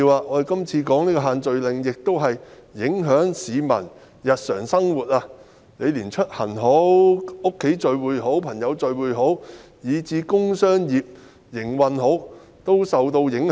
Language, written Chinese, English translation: Cantonese, 我們今次討論的限聚令影響市民日常生活，連出行及在家中與朋友聚會，以至工商業的營運等也受影響。, The social gathering restriction now under our discussion affects peoples daily living from commuting having get - togethers with friends at home to industrial and commercial operations